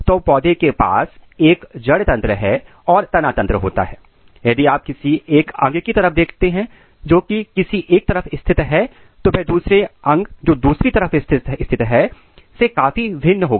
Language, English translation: Hindi, The plant has a root system and shoot system and if you look an organ which is placed here it is very different than the organ which is present here